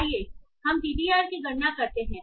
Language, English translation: Hindi, So let us compute the TDR